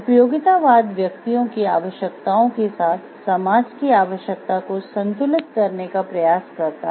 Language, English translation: Hindi, Utilitarianism tries to balance the need of the society with the needs of the individuals